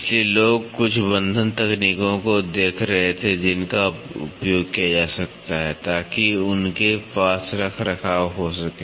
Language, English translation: Hindi, So, people were looking at some fastening techniques which can be used so, that they can have maintenance